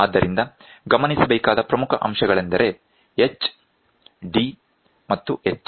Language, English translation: Kannada, So, important points to be noted are H, d and h